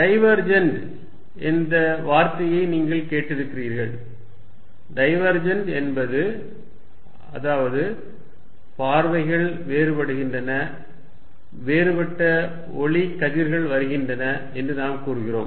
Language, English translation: Tamil, You heard the word divergent, divergence means we say views are diverging, there is diverging light rays coming